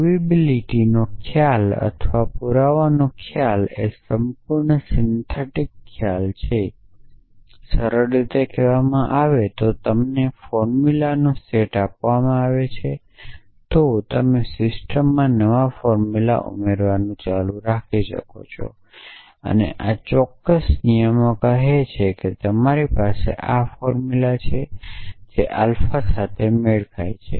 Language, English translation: Gujarati, So, notion of provability is a or the notion of proof is the entirely syntactic concept if simply says that given set of formulas, you can keep adding new formulas to the system and this particular rules says that is you have a formula which matches alpha